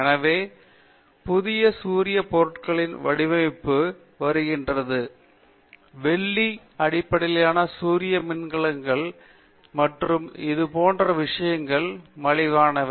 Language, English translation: Tamil, So, the design of new solar materials is coming, silver based solar cells and such things are cheaper than this